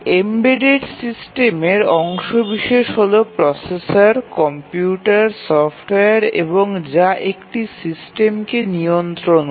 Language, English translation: Bengali, The embedded systems are the ones where the processor, the computer, the software is part of the system and it controls the system